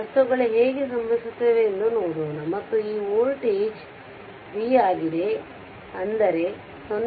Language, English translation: Kannada, Let us see how things happen and this voltage is ah this voltage is v; that means, across the 0